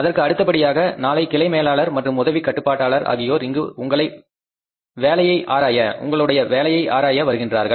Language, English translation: Tamil, In addition, tomorrow the branch manager and the assistant controller will be here to examine your work